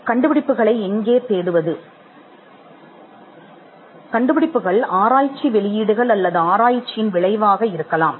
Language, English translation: Tamil, Inventions may result out of research publications, or outcome of research